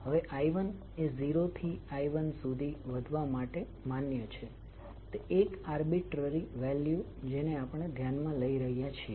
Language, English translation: Gujarati, Now I 1 is now allowed to increase from 0 to capital I 1 that is one arbitrary value we are considering